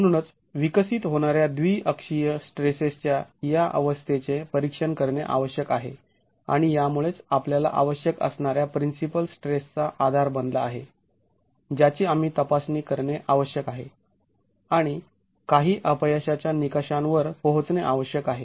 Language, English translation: Marathi, So we need to be examining the state of biaxial stress that develops and it's this which becomes the basis of the principal stresses which we need to examine and arrive at some failure criteria